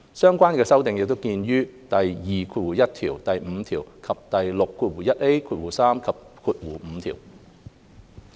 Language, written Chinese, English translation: Cantonese, 相關修訂見於第21條、第5條，以及第6、3及5條。, Please see clauses 21 5 and 61A 3 and 5 for the relevant amendments